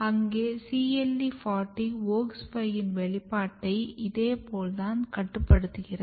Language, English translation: Tamil, There we have CLE40 is regulating the expression of WOX5 and this is quite similar